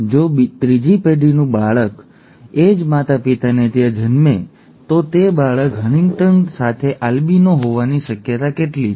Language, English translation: Gujarati, If another child of the third generation is born to the same parents, what is the probability of that child being an albino with HuntingtonÕs